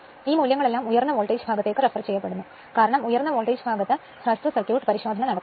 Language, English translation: Malayalam, These values all are referred to high voltage side because short circuit test is performed on the high voltage side right